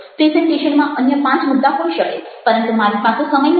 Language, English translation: Gujarati, the presentation might have five other points, but i don't have the time